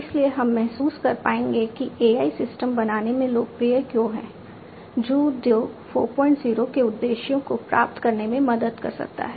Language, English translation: Hindi, So, that we will be able to realize that why AI is popular in building systems, which can help achieve the objectives of Industry 4